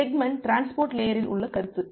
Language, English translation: Tamil, So, at the segment is the concept at the transport layer